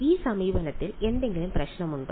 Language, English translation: Malayalam, Does is there any problem with this approach